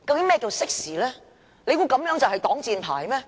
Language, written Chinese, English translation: Cantonese, 難道這就能成為擋箭牌嗎？, Could it be that this has become a shield for him?